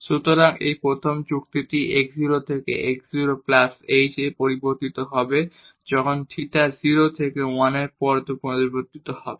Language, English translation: Bengali, So, this first argument will vary from x 0 to x 0 plus h when theta varies from 0 to 1